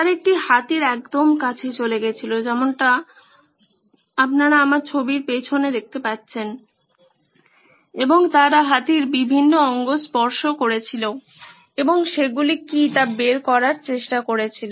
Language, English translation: Bengali, They went close to an elephant like the one you see behind me and they touched different parts of the elephant and tried to figure out what it was